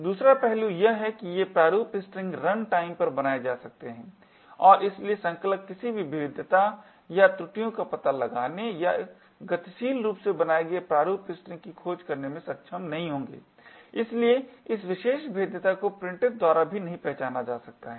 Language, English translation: Hindi, The second aspect is that these format strings can be created at runtime and therefore compilers would not be able to detect any vulnerabilities or errors or in search dynamically created format strings, so this particular vulnerability cannot be detected by printf as well